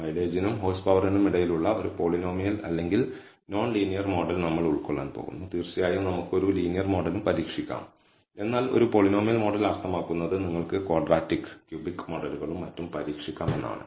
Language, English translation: Malayalam, We are going to fit a polynomial or a non linear model between mileage and horsepower, yeah of course we can also try a linear model, but a polynomial model means you can also try quadratic and cubic models and so on, so forth